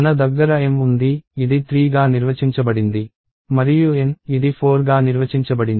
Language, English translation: Telugu, So, I have M, which is defined to be 3 and N, which is defined to be 4